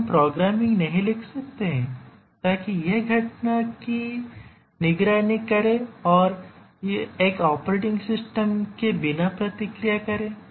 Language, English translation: Hindi, Can’t the programming itself we write so that it monitors the event and responds without operating system